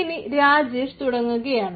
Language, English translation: Malayalam, so now it is over to rajesh